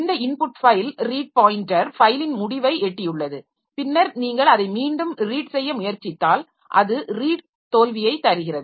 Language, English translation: Tamil, So this, so if the input file read pointer has reached the end of the file then if you try to read it again that gives a read failure